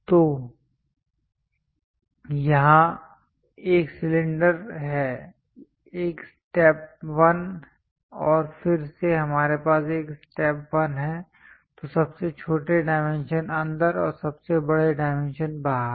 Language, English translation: Hindi, So, here it is one cylinder, a step 1 and again we have a step 1; So, smallest dimensions inside and largest dimensions outside